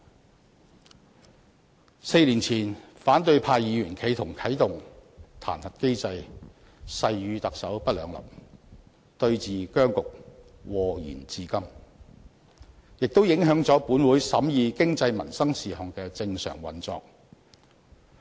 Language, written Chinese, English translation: Cantonese, 在4年前，反對派議員企圖啟動彈劾機制，誓與特首不兩立，對峙僵局禍延至今，也影響了本會審議經濟民生事項的正常運作。, Four years ago Members of the opposition camp attempted to initiate the impeachment mechanism and vowed to be antagonistic towards the Chief Executive . Today we are still affected by the impasse and the normal operation of this Council in considering economic and livelihood affairs has also been undermined